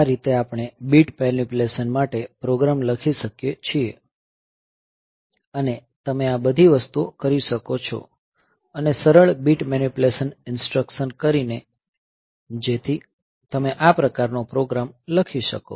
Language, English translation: Gujarati, So, this way we can write the program for bit manipulation and you can do all these things, by doing the easy bit manipulation instructions, so you can write this type of programs